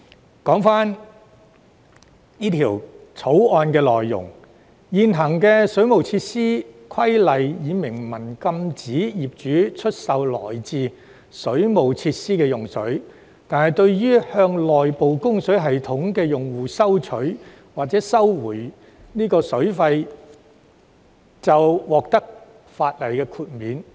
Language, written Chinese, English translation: Cantonese, 回頭談談《條例草案》的內容。現行《水務設施規例》已明文禁止業主出售來自水務設施的用水，但向內部供水系統的用戶收取或收回水費，則可在法例下獲得豁免。, The existing Waterworks Regulations have expressly prohibited property owners from selling water provided from the waterworks but a consumer of an inside service who collects or recovers the cost of water from any person who uses water in the premises in which the inside service exists is exempted